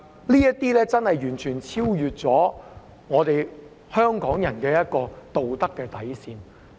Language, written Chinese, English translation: Cantonese, 這已經完全超越了香港人的道德底線。, This has crossed the moral bottom line of Hong Kong people completely